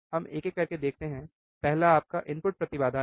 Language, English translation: Hindi, Let us see one by one, the first one that is your input impedance